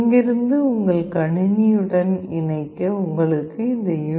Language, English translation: Tamil, For connecting from here to your PC you require this USB